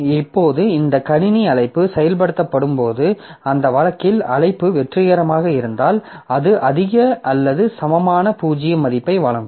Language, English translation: Tamil, Now, when this system call is executed, then if the call is successful in that case it will return a value which is greater or equal 0